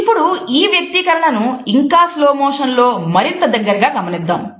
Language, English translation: Telugu, Let us have a look in even slower slow motion from closer